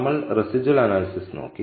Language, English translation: Malayalam, We looked at residual analysis